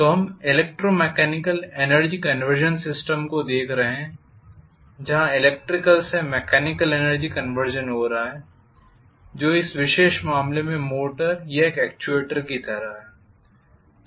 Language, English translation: Hindi, So we are looking at electromechanical energy conversion system where electrical to mechanical energy conversion is taking place which is like a motor or an actuator in this particular case